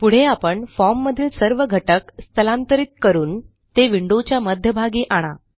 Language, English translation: Marathi, Next, let us move all the form elements to the centre of the window